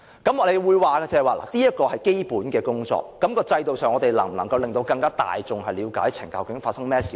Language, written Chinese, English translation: Cantonese, 有人會說這是基本工作，至於在制度上，我們能否令大眾更了解究竟懲教署發生甚麼事呢？, Some may say that this is simply basic work . So system - wise how can we further explain to the public what happens within CSD?